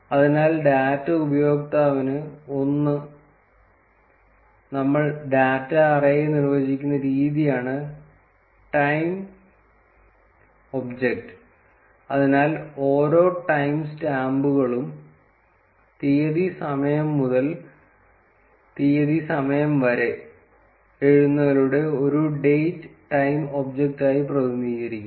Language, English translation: Malayalam, So, for data user 1, the way we define the data array is the date time object so each of the time stamp is represented as a date time object by writing date time dot date time